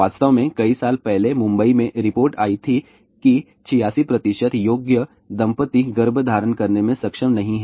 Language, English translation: Hindi, In fact, a few years back report came in Mumbai that 46 percent of eligible couple are not able to conceive